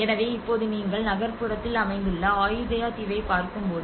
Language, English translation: Tamil, So now when you look at the Ayutthaya island which is located in the urban area